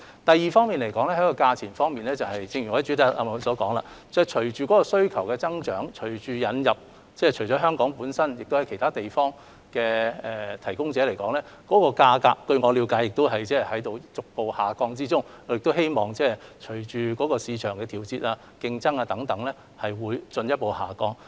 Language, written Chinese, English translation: Cantonese, 第二，在價格方面，正如我在主體答覆提到，隨着需求的增加，以及引入香港以外其他地方的提供者，據我了解，有關價格亦已在逐步下降，我亦希望價格隨着市場的調節和競爭等因素會進一步下降。, The testing capacity is thus gradually increasing . Secondly with regards to the price as I have explained in the main reply the price is going down gradually in view of the rising demand and the emergence of suppliers outside Hong Kong . I also hope that the price will go down further due to such factors as market adjustment or competition